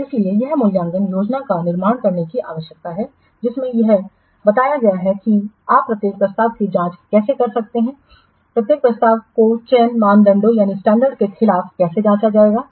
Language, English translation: Hindi, So that is why it is needed to produce an evaluation plan describing how each proposal you can check how each proposal will be checked against the selection criteria